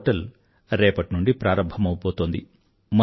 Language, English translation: Telugu, The Ministry is launching the portal tomorrow